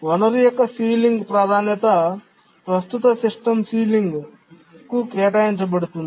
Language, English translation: Telugu, So the ceiling priority of the resource is assigned to the current system ceiling